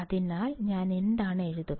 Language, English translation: Malayalam, So, what I will write